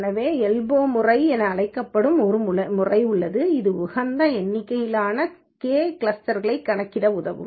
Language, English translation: Tamil, So, there is one method which is called as the elbow method which can help us to calculate the optimal number of clusters k